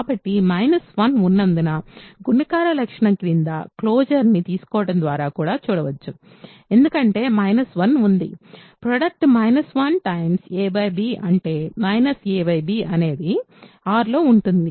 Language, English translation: Telugu, So, that is also seen by taking the, using the closer under multiplication property because minus 1 is there, the product is there minus 1 time say a by b which is minus a b is in R